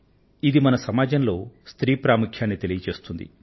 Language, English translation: Telugu, This underscores the importance that has been given to women in our society